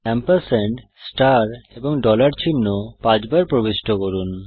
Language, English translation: Bengali, Enter the symbols ampersand, star and dollar 5 times